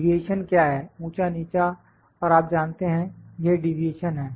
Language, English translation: Hindi, What is deviation then up, low and you know this the deviation